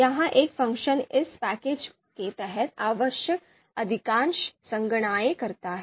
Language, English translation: Hindi, So this one function does most of the computations that are required under this package